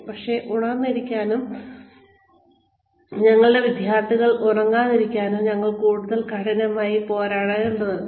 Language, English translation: Malayalam, And, we have to struggle extra hard, to stay awake, and to keep our students awake